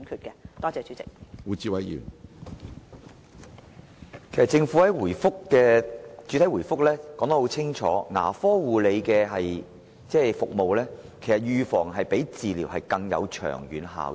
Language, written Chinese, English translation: Cantonese, 政府在主體答覆中清楚指出，預防性的牙科護理服務較治療更有長遠效益。, It is clearly stated in the main reply that preventive dental care has more long - term benefits than cure